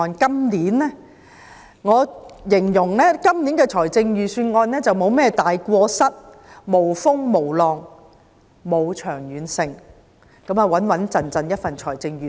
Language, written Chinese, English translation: Cantonese, 我會形容今年的預算案沒有甚麼大過失，無風無浪，沒有長遠性，只是一份穩健的預算案。, In my opinion the Budget itself does not have any major faults . It lacks a long - term vision . It is a mediocre but reliable budget